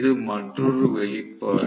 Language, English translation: Tamil, This is another expression